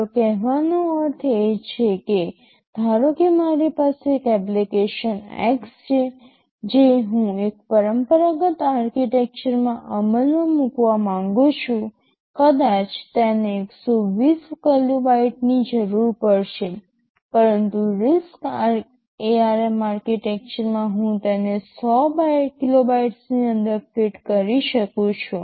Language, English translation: Gujarati, What I mean to say is that, suppose I have an application x X that I want to implement in a conventional architecture maybe it will be requiring 120 kilobytes but in RISC ARM Architecture I can fit it within 100 kilobytes